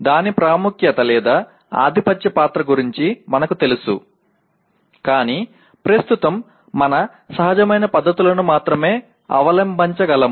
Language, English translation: Telugu, While we are aware of its importance or dominant role, but we can only adopt our intuitive methods right now